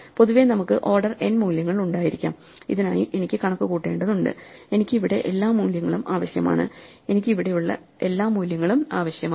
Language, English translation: Malayalam, In general, we could have order n values I need to compute for this I need to compute, I need all the values here and I need all the values here